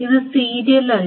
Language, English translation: Malayalam, So this is not serial